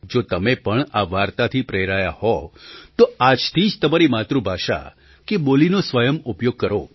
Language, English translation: Gujarati, If you too, have been inspired by this story, then start using your language or dialect from today